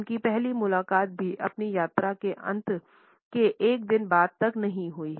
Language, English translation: Hindi, His first meeting did not even take place till a dye later by the end of his trip he was